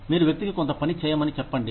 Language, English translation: Telugu, You tell the person, to do some work